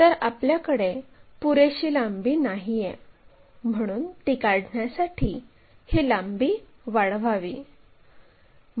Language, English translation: Marathi, So, if we are not having that enough length, so what we can do is increase this length to locate it